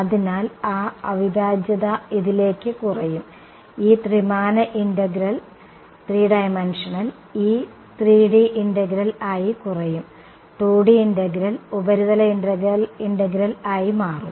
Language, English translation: Malayalam, So, then that integral will get reduce to; this three dimensional integral will get reduce to a this 3D integral will become 2D integral right, surface integral right